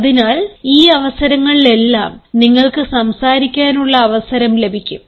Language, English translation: Malayalam, so in all these situations you will have the occasion to speak